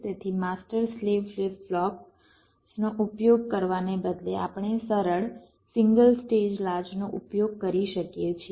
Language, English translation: Gujarati, so instead of using the master slave flip flops, we can use simple single stage latches